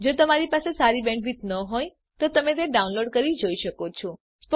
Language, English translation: Gujarati, If you do not have good bandwith , you can download and watch it